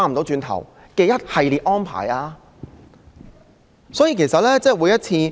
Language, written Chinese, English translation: Cantonese, 這一系列安排會否是一條不歸路？, Would this series of arrangements be a road of no return?